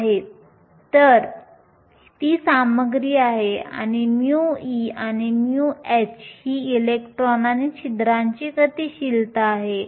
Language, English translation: Marathi, So, that is content and mu e and mu h are the mobilities of electrons and holes